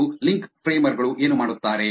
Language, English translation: Kannada, And what the link framers do